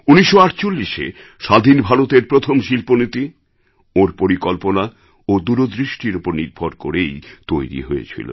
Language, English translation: Bengali, The first industrial policy of Independent India, which came in 1948, was stamped with his ideas and vision